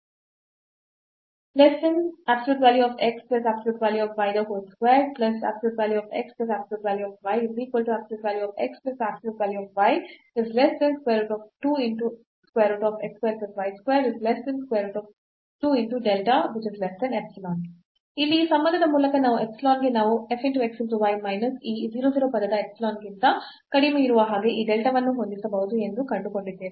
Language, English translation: Kannada, So, by this relation here we have found that for given epsilon we can set this delta so, that this f xy minus this 0 0 term is less than the epsilon